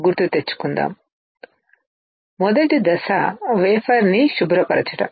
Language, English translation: Telugu, Let’s recall; The first step is wafer cleaning